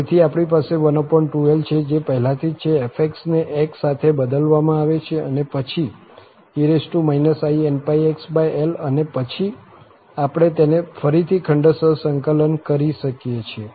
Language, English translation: Gujarati, So, 1 over 2l, that is already there, f x is replaced with x and then e power in pi x over l and then we can integrate by parts again